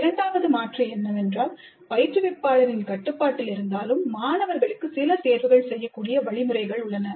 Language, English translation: Tamil, The second alternative is that instructor is still in controls, but students have some choice